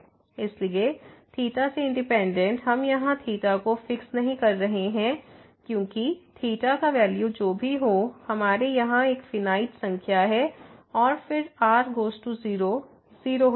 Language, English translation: Hindi, So, independent of theta, we are not fixing theta here because whatever the value of theta is we have a finite number here and then, goes to 0 then this will become 0